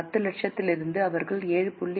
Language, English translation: Tamil, From 10 lakhs, they will give 7